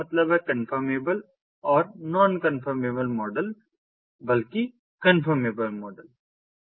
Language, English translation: Hindi, that means the confirmable and the non confirmable models, rather the confirmable model